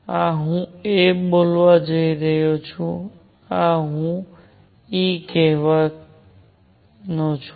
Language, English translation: Gujarati, This I am going to call a; this I am going to call e